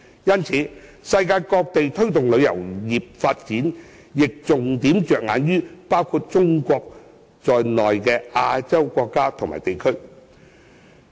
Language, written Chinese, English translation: Cantonese, 因此，世界各地推動旅遊業發展，亦會重點着眼於包括中國在內的亞洲國家和地區。, For this reason places around the world will focus on Asian countries and regions including China in promoting tourism development